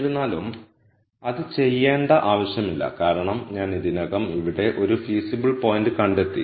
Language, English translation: Malayalam, However, there is no need to do that because I already found a feasible point here